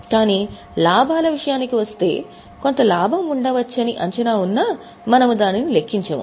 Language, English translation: Telugu, But when it comes to gains that there may be some gain, then we don't account for it